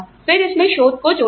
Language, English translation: Hindi, Then, research was added to it